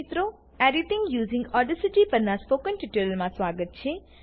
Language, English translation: Gujarati, Welcome to the tutorial on Editing using Audacity